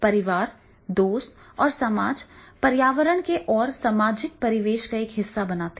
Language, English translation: Hindi, Family, friends and society when we talk about the environment, social environment